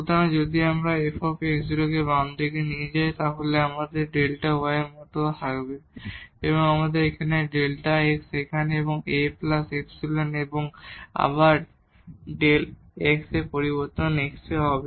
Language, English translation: Bengali, So, if we bring this f x naught to the left hand side this will become like delta y and we have here delta x here and A terms plus epsilon and again delta x the change in x